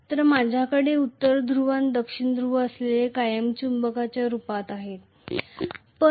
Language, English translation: Marathi, So, I will have the North Pole and South Pole which are in the form of a permanent magnet